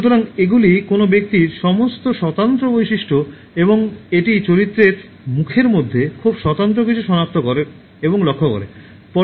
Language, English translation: Bengali, So, these are all distinctive features of a person and identify something very distinctive in this character in this face and note that